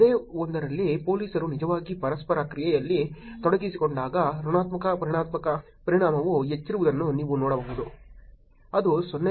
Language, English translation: Kannada, In the same one you can see that negative affect is higher when police is actually involved in the interaction, which is 0